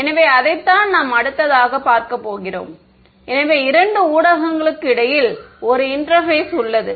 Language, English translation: Tamil, So, that is what we will look at next, so an interface between two mediums ok